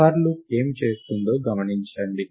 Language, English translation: Telugu, Observe what the for loop does